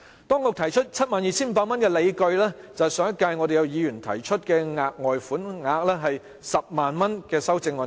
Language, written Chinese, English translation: Cantonese, 當局提出 72,500 元，理據就是上屆立法會議員提出修正案，建議額外款項為 100,000 元。, The rationale for the authorities proposal of 72,500 was that Members of the last Legislative Council proposed amendments to set the further sum at 100,000